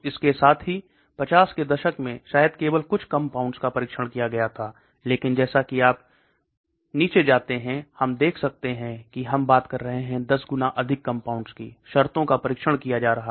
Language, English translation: Hindi, Simultaneously, in 50s maybe only few compounds were tested, but as you go down we can see we are talking in terms of 10 times more compounds are being tested